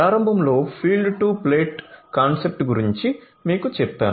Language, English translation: Telugu, So, I told you about the field to plate concept at the outset I explained it